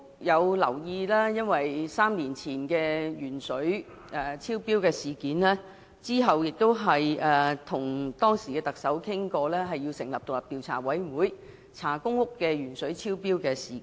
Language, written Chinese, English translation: Cantonese, 由於3年前的鉛水超標事件，我當時亦曾要求特首成立調查委員會，調查公屋鉛水超標事件。, Three years ago I had also requested the Chief Executive to set up a Commission of Inquiry to inquire into the incident of excessive lead in drinking water in public rental housing PRH estates